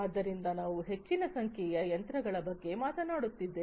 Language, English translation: Kannada, So, we are talking about large number of machines